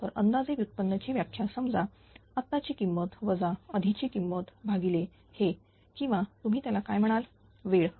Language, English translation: Marathi, So, approximate definition of derivative is suppose the current value minus the previous value divided by this or what you call the ah time sa span, right